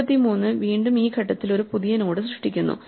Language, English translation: Malayalam, So, 33 again creates a new node at this point